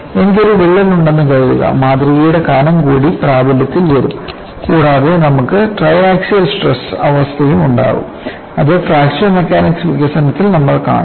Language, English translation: Malayalam, Suppose I have a crack, that thickness of the specimen also come into the effect, and you will also have triaxial state of stress which we would see in course of fracture mechanics developments